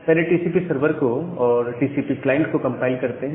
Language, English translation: Hindi, So, first let us compile TCP server and compile TCP client